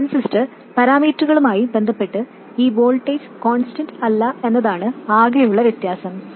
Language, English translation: Malayalam, The only difference is that this voltage is not constant with respect to transistor parameters